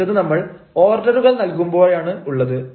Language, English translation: Malayalam, next comes when you are going to place orders